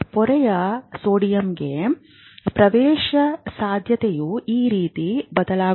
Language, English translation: Kannada, There is a change in the permeability of the membrane to sodium